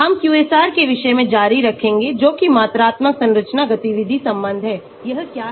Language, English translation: Hindi, we will continue on the topic of QSAR that is quantitative structure activity relationship, what is this